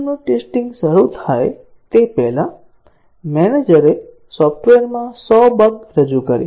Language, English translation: Gujarati, Before the system’s testing started, the manager introduced 100 bugs into the software